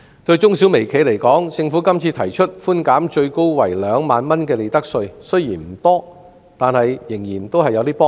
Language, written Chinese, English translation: Cantonese, 對中小微企而言，政府今次提出稅務寬免最高為2萬元的利得稅，雖然數目不多，但仍然會有幫助。, For MSMEs the profits tax concession proposed by the Government is now capped at 20,000 . The amount though rather small still helps